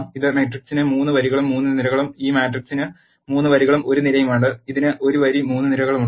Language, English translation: Malayalam, This matrix has 3 rows and 3 columns, and this matrix has 3 rows and 1 column, and this has 1 row and 3 columns